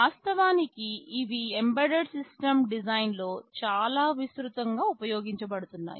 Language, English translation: Telugu, In fact and these are very widely used in embedded system design